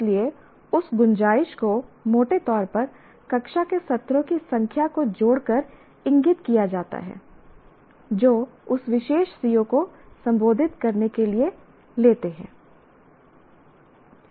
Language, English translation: Hindi, So, that scope is indicated by associating the roughly the number of classroom sessions that one takes to address that particular C